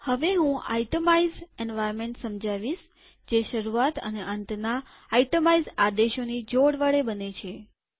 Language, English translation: Gujarati, I now want to explain the itemize environment which is created with a pair of begin and end itemize commands